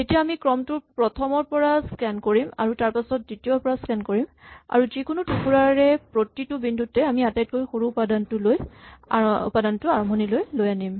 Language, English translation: Assamese, Then we will scan the sequence from one onwards, then we will scan the sequence on two onwards, and at each point in whichever segment where we are we will move the smallest element to the beginning